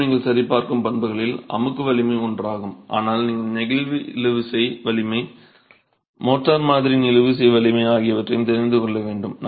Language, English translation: Tamil, Okay, again, compressive strength is one of the properties that you would check, but you also need to know the flexual tensile strength, the tensile strength of the motor sample